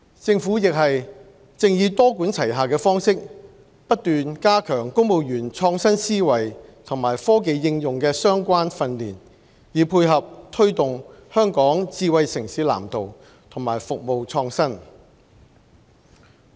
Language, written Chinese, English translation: Cantonese, 政府亦正以多管齊下的方式不斷加強公務員創新思維和科技應用的相關訓練，以配合推動《香港智慧城市藍圖》和服務創新。, Taking a multi - pronged approach the Government is persistently enhancing civil service training in relation to innovative minds and technology application so as to tie in with promoting the Hong Kong Smart City Blueprint and innovation in services